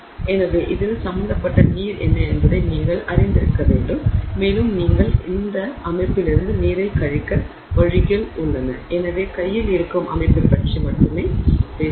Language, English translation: Tamil, So, you should be aware of what is the water involved and there are ways in which you can no subtract off the water from the system and therefore talk only of the system at hand